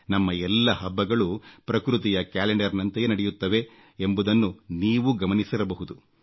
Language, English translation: Kannada, You would have noticed, that all our festivals follow the almanac of nature